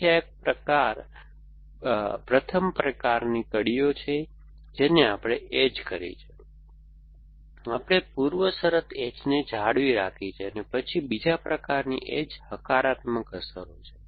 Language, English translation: Gujarati, So, this is a first kind of links we have been edges, we have maintained the precondition edges then the second kind of edges are positive effects